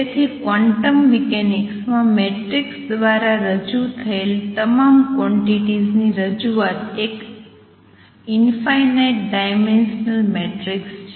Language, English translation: Gujarati, So, necessarily all the quantities that are represented by matrix in quantum mechanics the representation is an infinite dimensional matrix